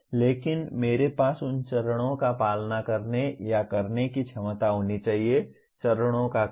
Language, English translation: Hindi, But I should have the ability to follow the, or perform those steps, sequence of steps